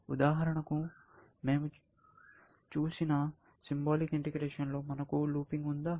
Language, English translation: Telugu, If you think of, for example, symbolic integration that we looked at; can we have looping